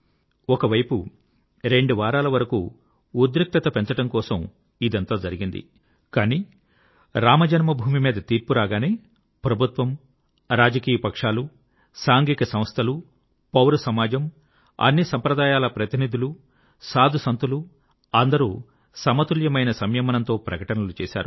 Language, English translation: Telugu, On the one hand, the machinations went on to generate tension for week or two, but, when the decision was taken on Ram Janmabhoomi, the government, political parties, social organizations, civil society, representatives of all sects and saints gave restrained and balanced statements